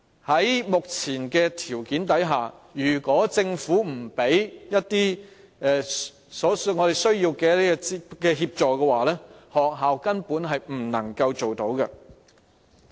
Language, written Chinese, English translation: Cantonese, 在目前的條件下，如果政府不提供所需的協助，學校根本是不能做到的。, In the current circumstances schools are simply unable to achieve that without the necessary help provided by the Government